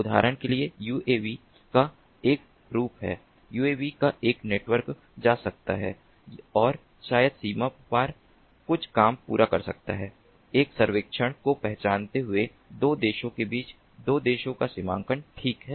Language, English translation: Hindi, a network of uavs could be going and accomplishing some task across the border, maybe performing some recognize a survey between two countries, border bordering two countries, right